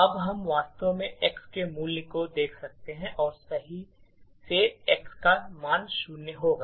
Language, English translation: Hindi, Now we could actually look at the value of x and rightly enough the value of x will be zero